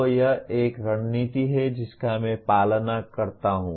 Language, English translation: Hindi, So that is a strategy that I follow